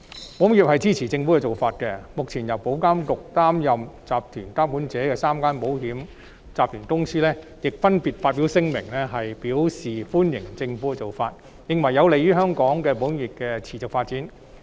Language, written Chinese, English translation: Cantonese, 保險業界支持政府的建議，目前由保監局擔任集團監管者的3個國際保險集團亦分別發表聲明，表示歡迎政府的建議，認為此舉有利於香港保險業的持續發展。, The insurance sector supports the Governments proposal and the three international insurance groups for which IA currently acts as the group supervisor have also issued separate statements welcoming the Governments proposal . They consider it conducive to the sustainable development of the local insurance industry